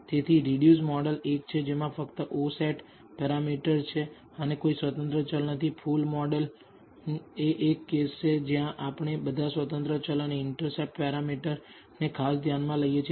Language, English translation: Gujarati, So, the reduced model is one which contains only the o set parameter and no independent variables the full model is a case where we consider all the independent variables and the intercept parameter